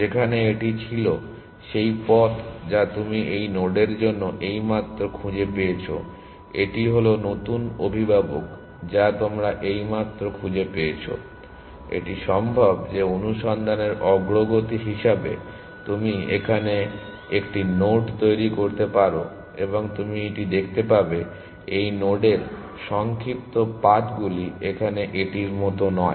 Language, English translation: Bengali, Where as so this was the this is the path that you have you have just found for this node, this is the new parent that you have just found it is possible that as search progresses you may generate a node here, and you will find that the shorter paths to this node is via here and not like this